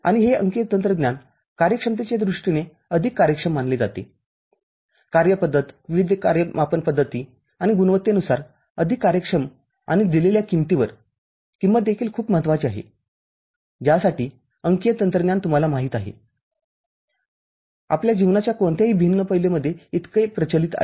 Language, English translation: Marathi, And this digital technology is considered more efficient, more efficient in terms of performance different kind of the performance metric, quality and at a given cost the cost is also very important, for which the digital technology is so much prevalent, you know getting into any different aspects of our life